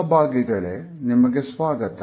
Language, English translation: Kannada, Welcome dear participants